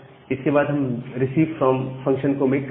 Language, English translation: Hindi, And after that we are making this receive from function